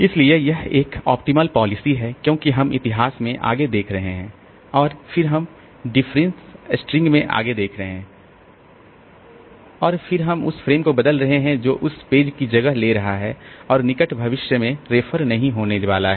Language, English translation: Hindi, So, this is an optimal policy because we are looking forward to the history and then we are looking forward into the reference string and then we are replacing the frame which is replacing the page which is not going to be referred to in near future